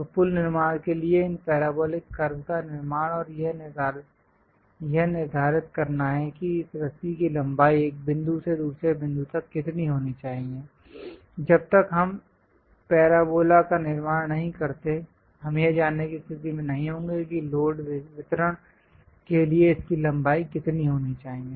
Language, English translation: Hindi, So, for bridge construction also constructing these parabolic curves and determining what should be this rope length from one point to other point is very much required; unless we construct the parabola, we will not be in a position to know how much length it is supposed to have for the load distribution